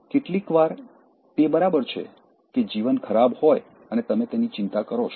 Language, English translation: Gujarati, Sometimes it is fine that life is bad and then you worry about it